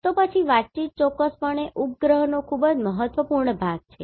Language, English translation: Gujarati, Then communication definitely satellites are very important part of that